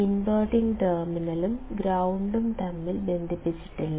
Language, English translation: Malayalam, Though there is no physical connection between the inverting terminal and the ground